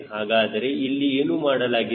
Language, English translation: Kannada, so what is done